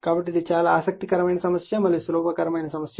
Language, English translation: Telugu, So, this problem is interesting problem and very simple problem